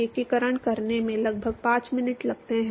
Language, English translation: Hindi, It takes about 5 minutes to do the integration